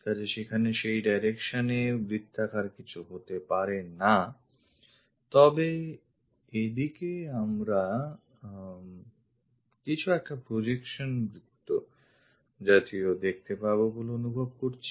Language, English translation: Bengali, So, circle should not be there on that direction, but looks like a projection circle we might be going to sense it in that way